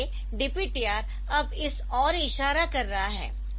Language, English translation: Hindi, So, DPTR is now point this in to this